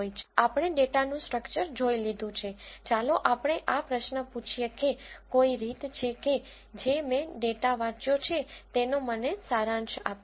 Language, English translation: Gujarati, Since we have seen the structure of the data, let us ask this question is there any way that I will get a summary of the data which I have read